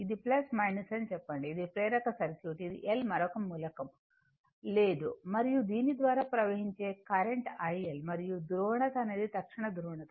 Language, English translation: Telugu, It is plus minus say, it is inductive circuit, it is L no other element is there and current flowing through this is i L and instant it and polarity instantaneous polarity right